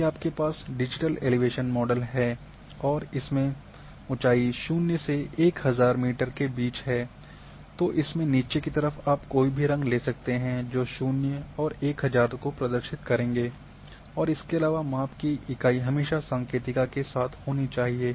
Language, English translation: Hindi, If you are having digital elevation model and suppose it is ranging between 0 to 1000 metre,at the bottom whatever the colours which are representing 0 and 1000, then unit of measurements must always be also there along with legend